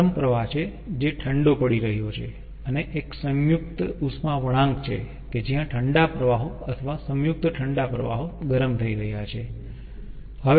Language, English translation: Gujarati, one composite cooling curve, that is, the hot stream is getting cool and one composite heating curve that the cold streams are, or the combined cold streams are getting heated